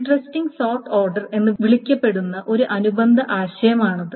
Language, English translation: Malayalam, And there is a related concept called then interesting sort order